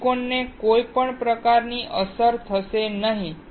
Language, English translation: Gujarati, Silicon will not get affected